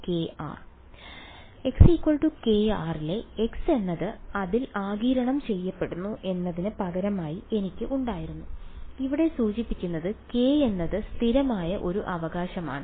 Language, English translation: Malayalam, So, I had the substitution that k r is equal to x right the x is absorbed into it what is implicit over here was is a k is a constant right